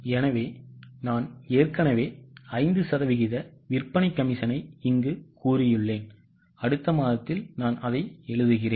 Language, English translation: Tamil, So, I have already stated it here, sales commission at 5% and write it in the next month